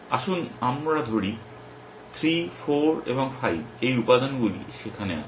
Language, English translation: Bengali, Let us say where 3, 4 and 5 are those these element